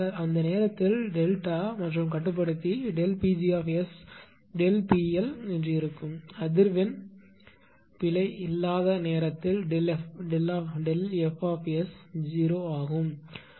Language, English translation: Tamil, Our delta and with this controller at the time delta P g S; will be exactly delta P L it will because frequency at the time there is no frequency error delta F S S is 0